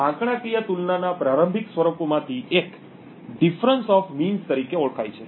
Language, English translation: Gujarati, One of the earliest forms of statistical comparison is known as the Difference of Means